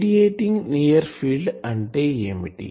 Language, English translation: Telugu, Now, what is radiating near field